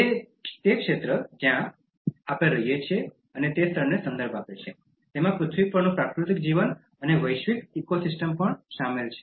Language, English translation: Gujarati, It refers to the area, the place in which we live, it includes the natural life on earth and the global ecosystem